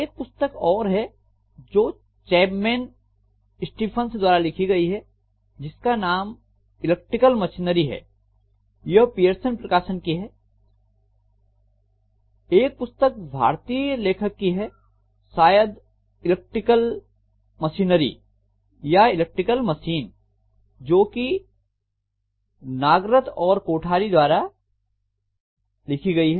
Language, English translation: Hindi, There is one more which is actually Electric Machinery by Chapman Stephen Chapman, these are from Pearson, and one more Indian author book, probably Electric Machinery by or by Electrical Machine by Nagarathan Kothari